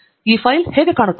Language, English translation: Kannada, and how does this file look